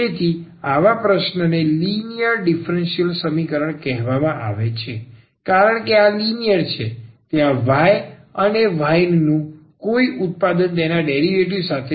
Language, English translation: Gujarati, So, such a question is called a linear differential equation because this is linear there is no product of y or y with the its derivative